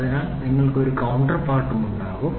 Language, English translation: Malayalam, So, you will have a counterpart also